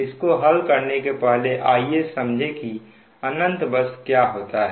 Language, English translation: Hindi, now, before solving this problem, let us try to understand what is infinite bus generally